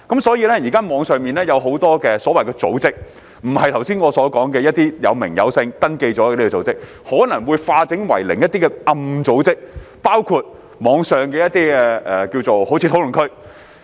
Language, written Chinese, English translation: Cantonese, 所以，現時網上有很多組織，不是我們剛才所說有真實名稱及已登記的組織，而是化整為零及躲藏在暗角的一些組織，包括某些網上討論區。, There are thus a large number of organizations in online platforms nowadays and instead of following the practice mentioned just now to register themselves with their actual names they have broken up into small organizations and hidden in dark corners including some online discussion fora